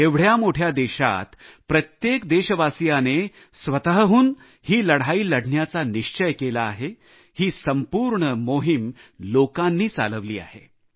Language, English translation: Marathi, In a country as big as ours, everyone is determined to put up a fight; the entire campaign is people driven